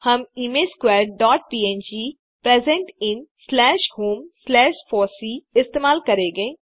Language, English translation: Hindi, We shall use the image squares dot png present in slash home slash fossee